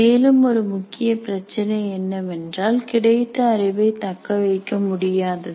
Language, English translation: Tamil, And another major issue is poor retention of the knowledge